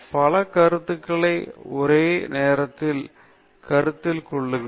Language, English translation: Tamil, Simultaneous consideration of several ideas